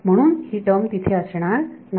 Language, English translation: Marathi, So, this term is not there